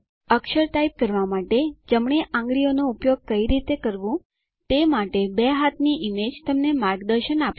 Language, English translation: Gujarati, The two hand images will guide you to use the right finger to type the character